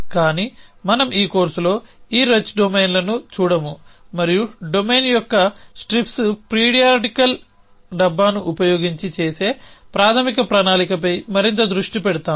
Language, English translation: Telugu, But we will in this course not look at these richer domains and focus more on the basic planning which is done using the strips periodical can of a domain essentially